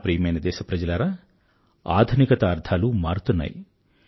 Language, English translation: Telugu, My dear countrymen, definitions of being modern are perpetually changing